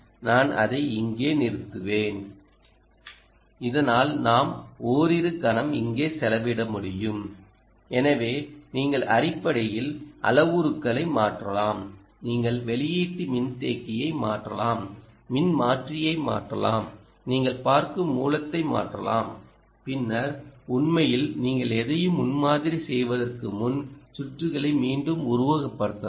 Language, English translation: Tamil, i will just stop it here so that we can spend a little moment, or to ah here, so you, essentially, can change parameters, you can change the output capacitance, you can change the transformer, you can change the kind of source that you are looking at and then re simulate the circuit and before you actually prototype anything